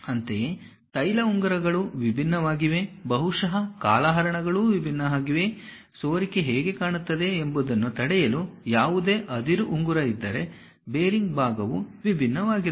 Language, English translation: Kannada, Similarly, oil rings are different, perhaps lingers are different; if there are any ore ring kind of thing to prevent leakage how it looks like, the bearing portion is different